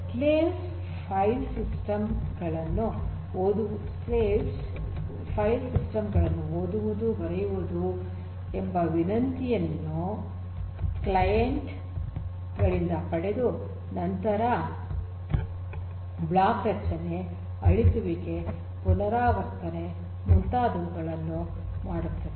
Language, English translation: Kannada, Slaves are the once which read write request from the file systems clients and perform block creation, deletion, replication and so on